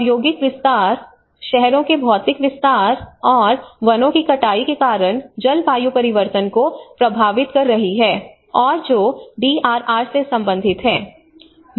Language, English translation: Hindi, Deforestation because of the industrial and expansions, physical expansion of cities, and how the deforestation is in turn affecting the climate change and which is again relating to the DRR